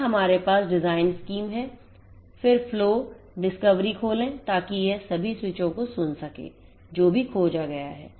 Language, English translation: Hindi, Then we have the design scheme then open flow dot discovery so, that it can listen to all the switches whichever is been discovered